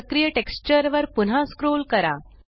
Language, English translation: Marathi, Scroll back to the active texture